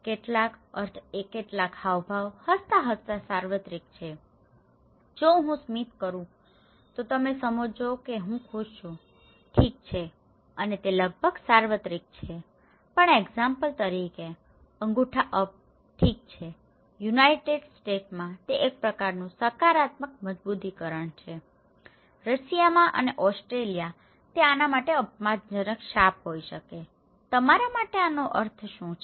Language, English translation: Gujarati, Some meanings, some gestures are very universal like smile, if I smile you understand I am happy, okay and it is almost universal but for example, the thumbs up, okay in United States, it is a kind of positive reinforcement, in Russia and Australia it could be an offensive curse for this one, what is the meaning of this one to you okay